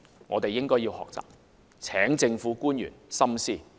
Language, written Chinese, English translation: Cantonese, 我們應該要學習，請政府官員深思。, We should learn from that example . I call on government officials to ponder over it